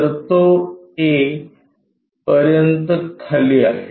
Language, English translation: Marathi, So, it is up to A part down